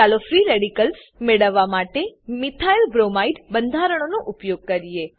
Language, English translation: Gujarati, Lets use the Methylbromide structure to obtain free radicals